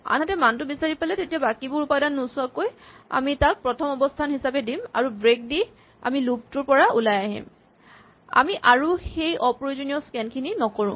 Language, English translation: Assamese, On the other hand if we have found it without looking at all the remaining elements we have set it to the first position we found it and we have taken a break statement to get out of the loop so we do not unnecessarily scan